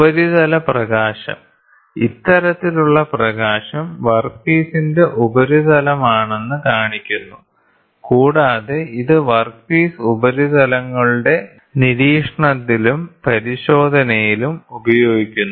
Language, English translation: Malayalam, The surface illumination, this type of illumination shows that the surface of the workpiece, and is used in the observation and inspection of the workpiece